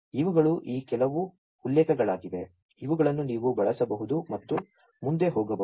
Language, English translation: Kannada, These are some of these references, which you could use and go through further